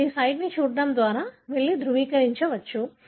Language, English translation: Telugu, So, you can go and verify by looking into this site